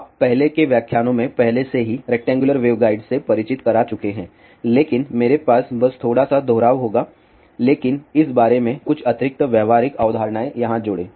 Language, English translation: Hindi, You have already been introduce to rectangular wave guide in the previous lectures, but I will just have a little bit of a repetition but add a few additional practical concepts about this over here